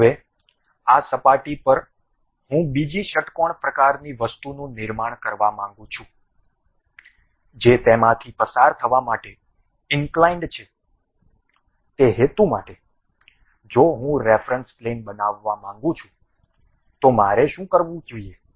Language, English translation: Gujarati, Now, on this surface I would like to construct another hexagon kind of thing inclinely passing through that; for that purpose if I would like to construct a reference plane, what I have to do